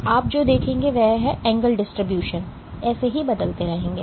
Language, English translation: Hindi, So, what you will see is the angle distribution will keep on changing like